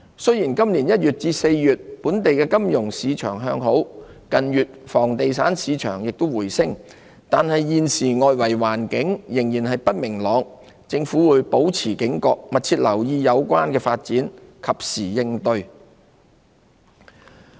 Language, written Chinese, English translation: Cantonese, 雖然今年1月至4月，本地金融市場向好，房地產市場近月亦回升，但外圍環境現時仍不明朗，政府會保持警覺，密切留意有關發展，及時應對。, While local financial markets were in an upswing from January to April this year and the property market has rebounded in recent months external uncertainties remain . Hence the Government will remain vigilant keeping a close watch on the relevant developments and making timely responses